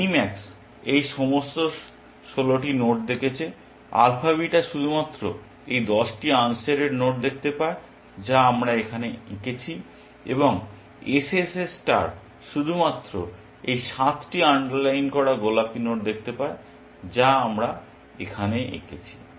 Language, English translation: Bengali, Mini max would have seen all these 16 nodes, alpha beta sees only these 10 unshaded nodes that we have drawn here, and SSS star sees only these 7 underlined pink nodes that we have seen here